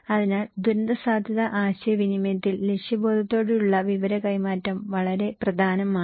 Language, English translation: Malayalam, So, purposeful exchange of information in disaster risk communication is very important